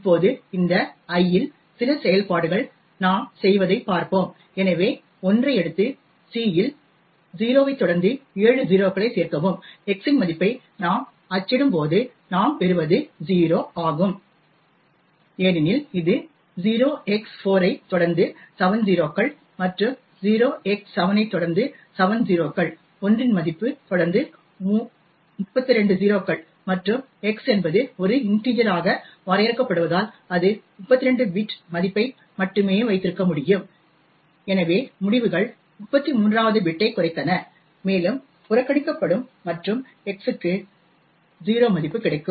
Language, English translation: Tamil, Now let us see when we do some operations on this l, so let us say we take l and add 0 at c followed by 7 0s what we obtain when we print the value of x is 0 and this happens because 0x4 followed by 7 0s plus 0x7 followed by 7 0s would be a value of 1 followed by 32 0s and since x is also defined as an integer it can only hold 32 bit value and therefore the results truncated the 33rd bit and about would be ignored and x would get a value of 0